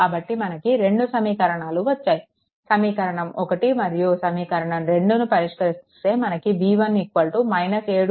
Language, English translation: Telugu, So, solve this 2 equation that equation 1 and equation 2, you solve it, then you will get ah that v 1 is equal to minus 7